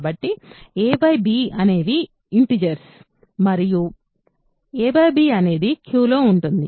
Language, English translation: Telugu, So, a and b are integers and a by b is in Q